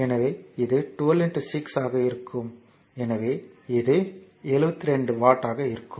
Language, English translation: Tamil, So, it will be your 12 into 6 so, your thing it will be 72 watt